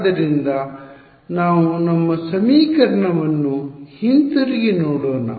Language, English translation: Kannada, So, let us go back to our equation